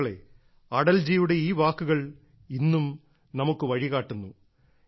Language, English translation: Malayalam, these words of Atal ji show us the way even today